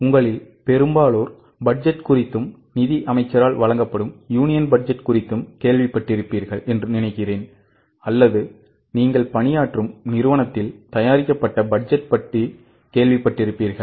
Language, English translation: Tamil, I think most of you would have heard about budgets, either about the union budget which is presented by the finance minister or those who are working, you would have heard about budgets made in your own company